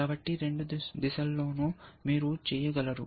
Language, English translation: Telugu, So, both in both directions you can